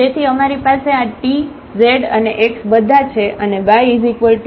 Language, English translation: Gujarati, So, we have this t, z and x all and also y here with mu 2